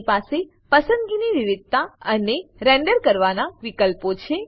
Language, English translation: Gujarati, It has a variety of selection and rendering options